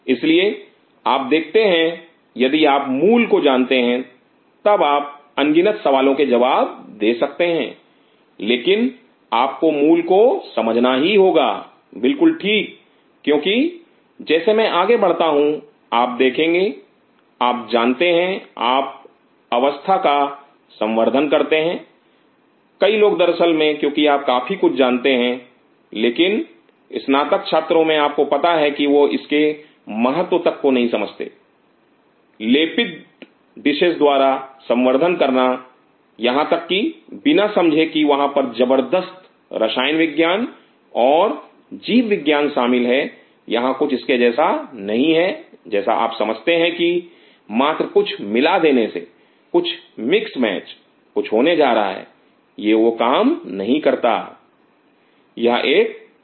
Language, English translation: Hindi, So, you see if you know the basics then you can answer infinite number of questions, but you have to understand the basics very right because as I will go through you will see you know you just culture the station many people as a matter of fact because of lot of you know, but in graduate students you know they do not even understand the significance the by coated dishes to culture things without even realizing that there is a tremendous chemistry and biology involved in it is not something like you know just mix something mix match something is going to happen it does not work that this is a logic